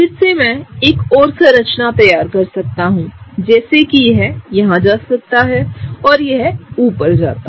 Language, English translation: Hindi, Again I can draw one more structure such that this can go here and that goes up